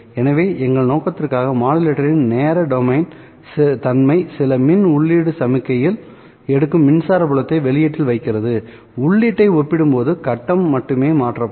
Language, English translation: Tamil, So, for our purpose, the time domain characterization of the phase modulator is it takes in some electrical input signal, puts out an electric field output which will have only its face changed compared to the input